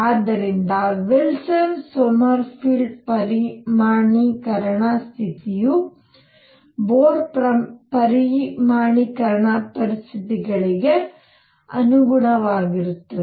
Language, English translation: Kannada, So, Wilson Sommerfeld quantization condition is consistent with Bohr’s quantization conditions